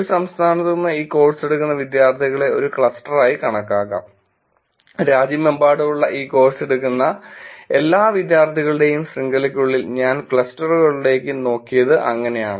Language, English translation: Malayalam, Students taking this course from one state could be treated as a cluster, within the network of all the students taking this course from all around the country, that is the way I have looked at clusters